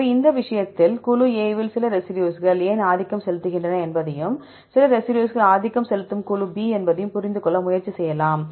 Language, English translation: Tamil, So, in this case, you can try to relate you can try to understand why some a residues are dominant in group A and some residues are dominant group B